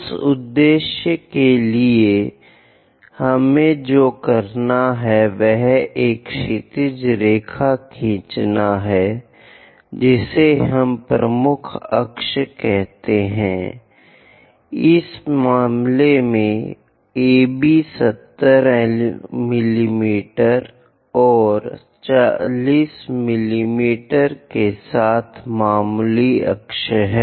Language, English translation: Hindi, Further purpose what we have to do is draw a horizontal line, which we call major axis, in this case, AB 70 mm and minor axis with 40 mm